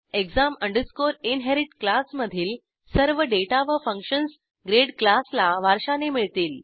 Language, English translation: Marathi, All the functions and data of class exam inherit will be inherited to class grade